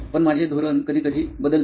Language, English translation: Marathi, But my strategy changes sometimes